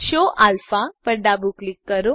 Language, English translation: Gujarati, Left click Show Alpha